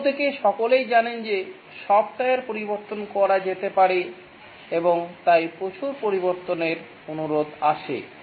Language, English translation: Bengali, Whereas everybody knows that software can be changed and therefore lot of change requests come